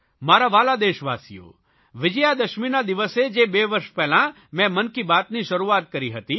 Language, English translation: Gujarati, My dear countrymen, I had started 'Mann Ki Baat' on Vijayadashmi two years ago